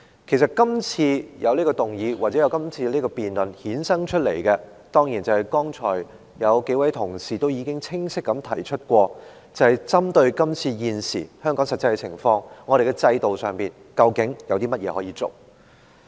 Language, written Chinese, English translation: Cantonese, 其實，這項議案或辯論衍生出來的——當然，正如剛才數位同事已清晰地提出——是針對現時香港的實際情況，我們在制度上究竟有甚麼可做。, Actually the question arising from this motion or debate is―just as several Members clearly pointed out earlier―what we can do with our system in the light of Hong Kongs existing situation